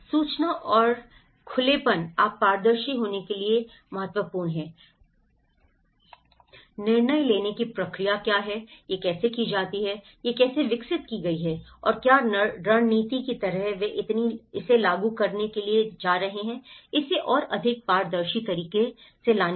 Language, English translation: Hindi, Bring the information and information and openness you have to be transparent, bring what the decision making process, how it is done, how this has been developed and what kind of strategy they are going to implement so, bring it more transparent ways